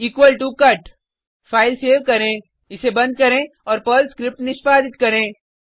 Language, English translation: Hindi, equal to cut Save the file, close it and execute the Perl script